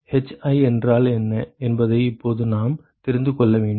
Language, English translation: Tamil, So now we need to know what is hi